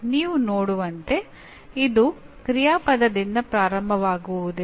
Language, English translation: Kannada, As you can see it does not start with an action verb